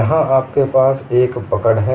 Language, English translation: Hindi, Here you have a catch